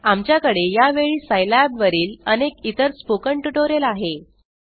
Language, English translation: Marathi, We have several other spoken tutorial on Scilab at this time